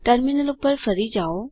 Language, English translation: Gujarati, Switch back to the terminal